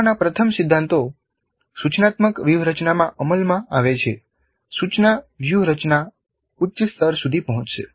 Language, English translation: Gujarati, As more of the first principles of learning get implemented in the instructional strategy, the instructional strategy will reach higher levels